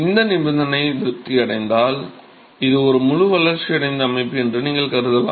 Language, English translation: Tamil, So, this condition is satisfied then you can assume that it is a fully developed system